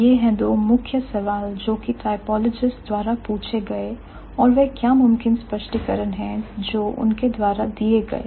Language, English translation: Hindi, So, these are the two primary questions that typologists they ask and what is, and what are the possible explanations that they give